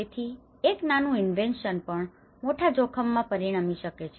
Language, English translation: Gujarati, So, a small invention can lead to a bigger risk